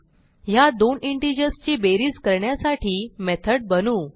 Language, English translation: Marathi, Let us create a method to add these two integers